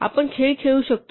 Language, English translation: Marathi, We can play games